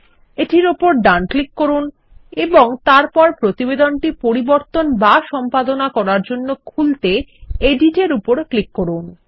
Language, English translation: Bengali, Let us right click on click on Edit to open the report for modifying or editing